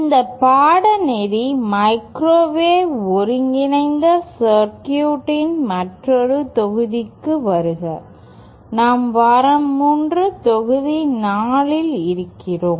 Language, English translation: Tamil, Welcome to another module of this course microwave integrated circuits, we are in week 3, module 4